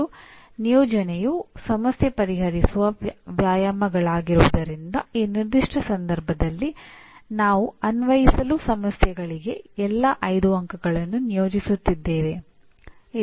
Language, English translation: Kannada, And because assignment by and large are problem solving exercises, all the 5 marks we are assigning in this particular case to Apply, okay